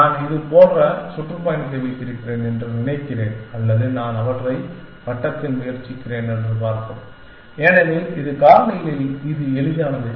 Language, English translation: Tamil, Supposing, I have tour like this or let us see I have I am just trying them in the circle because, this easier to this in factors